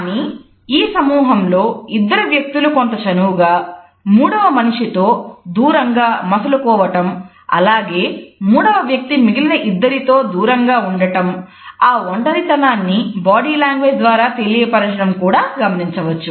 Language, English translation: Telugu, But in this group, we look at the two people are standing with certain closeness in comparison to the third person and the third person who is slightly isolated in comparison to others is also showing his isolation with the help of other body linguistic signs